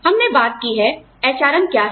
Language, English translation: Hindi, We have talked about, what HRM is